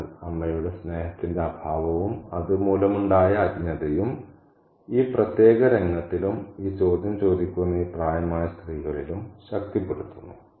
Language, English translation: Malayalam, So, this lack of mother's love and the ignorance caused by that is reinforced in this particular scene as well as by this older woman who asked this question